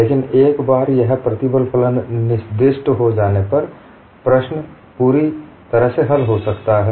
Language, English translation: Hindi, But once the stress function is specified, the entire problem can be solved